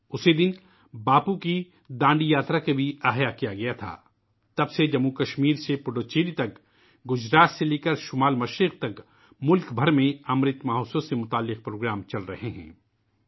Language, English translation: Urdu, On this very day, Bapu's Dandi Yatra too was revived…since then, from JammuKashmir to Puduchery; from Gujarat to the Northeast, programmes in connection with Amrit Mahotsav are being held across the country